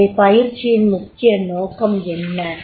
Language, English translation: Tamil, ) So what is primary goal of a training